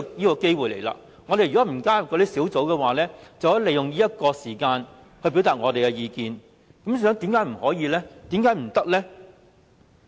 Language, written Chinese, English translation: Cantonese, 如果我們沒有加入小組委員會，便可以利用這個時間來表達意見，為甚麼不可以呢？, If we have not join a certain subcommittee we can still make use of this opportunity to express our views . Why not?